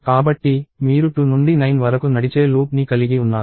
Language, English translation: Telugu, So, what you are having is a loop that runs from 2 to 9